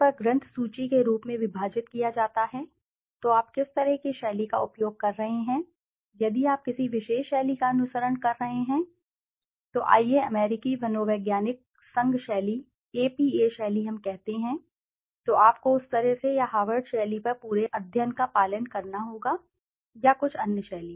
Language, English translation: Hindi, Generally divided as the bibliography so what kind of a style you are using so, if you are following a particular style let's say the American psychological association style, APA style we say then you have to follow the entire study on that way or the Harvard style or some other style